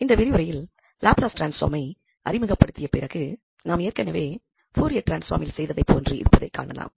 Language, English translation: Tamil, So, first after introducing the Laplace transform which is similar to what we have done in the Fourier transform